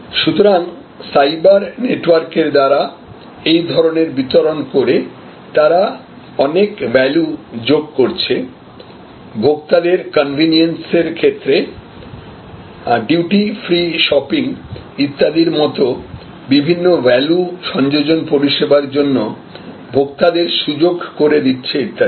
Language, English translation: Bengali, So, it is distribution over the cyber network and as a result, they are able to increase the value adds by way of consumer convenience, by way of consumer availability for other value added services like duty free shopping, etc